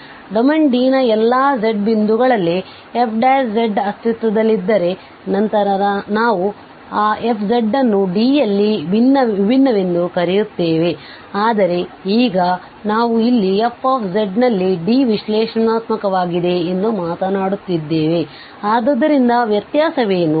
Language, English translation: Kannada, So, if the derivative f prime z exist at all points z of a domain D, then we also call that f z as differentiable in D, but now we are talking about here that f z is analytic in D